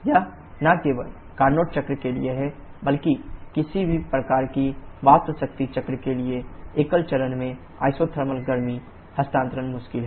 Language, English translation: Hindi, It is not only for Carnot cycle but also for any kind of vapour power cycles, isothermal heat transfer at single phase is difficult